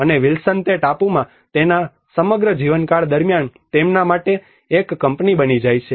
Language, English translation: Gujarati, And Wilson becomes a company for him throughout his stay in that island